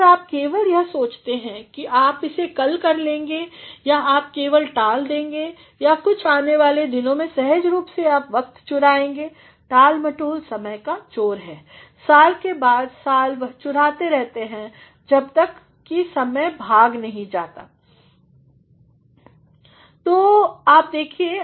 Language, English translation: Hindi, If you simply think that you will do it tomorrow or you simply put something off for the days to come naturally you are going to steal your own time, “procrastination is the thief of time year after year it steals till all are fled